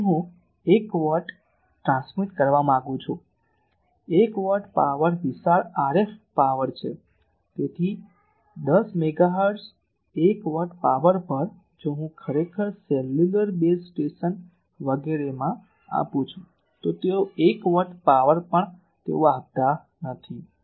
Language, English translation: Gujarati, So, I want to transmit 1 watt, 1 watt of power is sizable RF power so, at 10 megahertz 1 watt power, if I give actually the you know in cellular base station etc, they even 1 watt of power also they do not give they give 200 and300 mill watt power